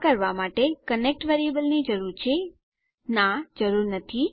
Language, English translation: Gujarati, To do this, we need our connect variable, no you dont..